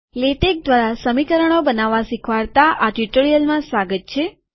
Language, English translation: Gujarati, Welcome to this tutorial on creating equations through latex